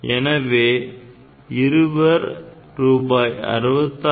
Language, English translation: Tamil, So, two people will get 66